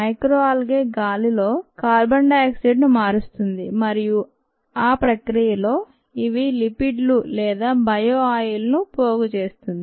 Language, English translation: Telugu, you grow micro algae, the micro algae, ah, convert the carbon dioxide in the air and in that process they accumulate lipids or bio oil